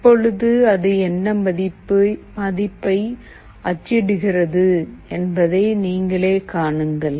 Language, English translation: Tamil, Now see what value it is printing